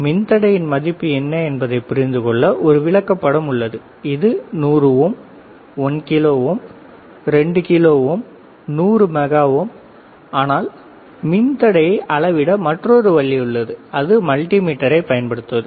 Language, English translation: Tamil, So, there is a chart to understand what is the value of the resistor; whether it is 100 ohm 1 kilo ohm 2 kilo ohm 100 mega ohms, but there is another way of measuring the resistance and that is using the multimeter